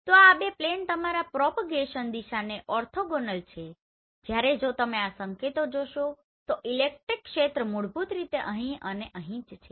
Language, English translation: Gujarati, So these two are basically the plane orthogonal to your propagation direction whereas if you see these signals so the electric field is basically here and here